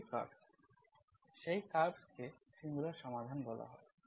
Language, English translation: Bengali, These are curves, that curve is called singular solution